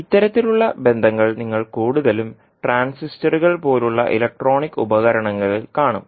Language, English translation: Malayalam, So, these kind of relationships you will see mostly in the electronic devices such as transistors